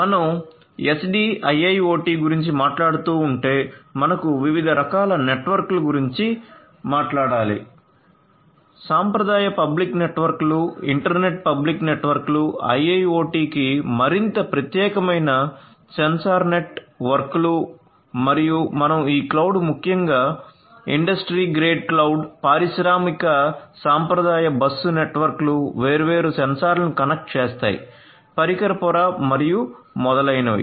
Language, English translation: Telugu, So, if we are talking about SDIIoT we have different types of networks, the traditional networks like your internet public networks, sensor networks which is more specific to IIoT and you also have this cloud particularly industry grade cloud industrial traditional bus networks, connecting different sensors at the device layer and so on